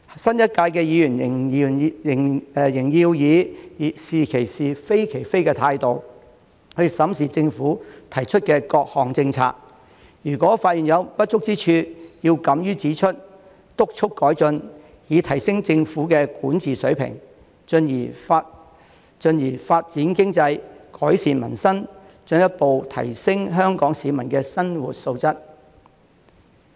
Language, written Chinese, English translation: Cantonese, 新一屆的議員仍要以"是其是，非其非"的態度審視政府提出的各項政策，如果發現有不足之處，要敢於指出、督促改進，以提升政府的管治水平，進而發展經濟、改善民生，進一步提高香港市民的生活質素。, Members in the new term should still adopt the attitude of speaking out for what is right and against what is wrong to examine the policies proposed by the Government . They should have the audacity to point out any inadequacies identified and urge for improvement so as to raise the governance standard of the Government as a stepping stone for economic development and improvement of peoples livelihood with a view to further boosting Hong Kong peoples quality of life